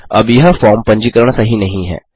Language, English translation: Hindi, Now this form validation isnt good